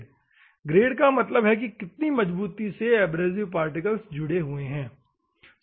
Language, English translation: Hindi, Grade means how firmly you are holding the abrasive particle specifies the grade, ok